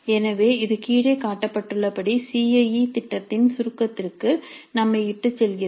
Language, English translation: Tamil, So that leads us to a summary of the CIA plan as shown below